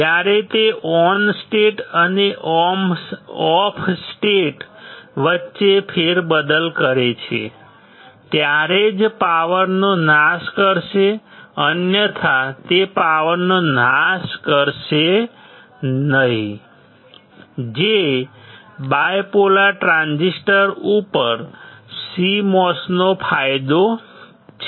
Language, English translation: Gujarati, When it switches between the on state and off state, otherwise it will not dissipate the power that is the advantage of CMOS over the bipolar transistors